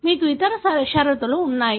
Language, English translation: Telugu, You have other conditions